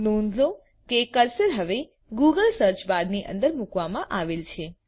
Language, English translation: Gujarati, Notice that the cursor is now placed inside the Google search bar